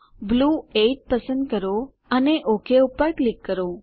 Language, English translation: Gujarati, Select Blue 8 and click OK